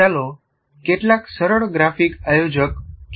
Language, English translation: Gujarati, Now, let us look at some simple graphic organizer